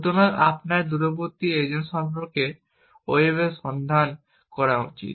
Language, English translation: Bengali, So, you should look up on the web about this remote agent